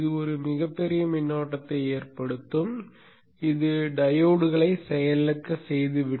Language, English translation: Tamil, This will result in a very huge search current which may blow off the diodes